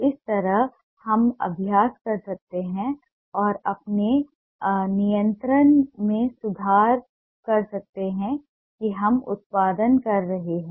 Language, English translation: Hindi, this way we can keep practicing and improve our control over the line that we are producing